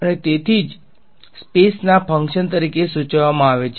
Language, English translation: Gujarati, So, that is why denoted as a function of space